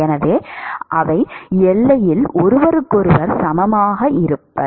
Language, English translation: Tamil, So, they will be equal to each other at the boundary